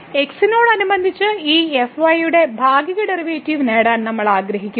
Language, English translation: Malayalam, So, we want to get the partial derivative of this with respect to